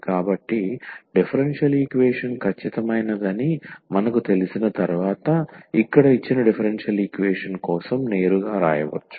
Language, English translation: Telugu, So, here we can write down directly for the given differential equation the solution once we know that the differential equation is exact